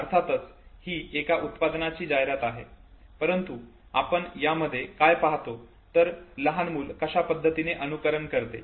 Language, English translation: Marathi, It is of course an ad of a product but we are looking at how human children they imitate, look at this ad